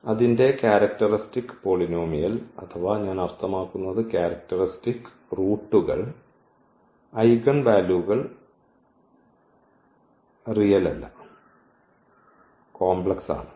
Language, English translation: Malayalam, And its characteristic polynomial or I mean the characteristic roots the eigenvalues were non real so the complex